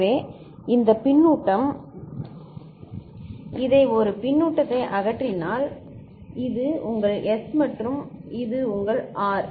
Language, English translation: Tamil, So, this feedback eliminate this a feedback then this is your S and this is your R